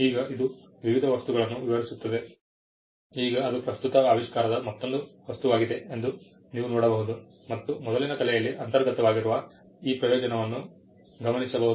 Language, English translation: Kannada, Now, it will describe various objects, now you can see that it is an object of the present invention another object and in view of the foregoing this advantage inherent in the prior art